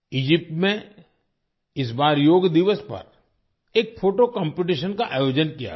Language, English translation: Hindi, This time in Egypt, a photo competition was organized on Yoga Day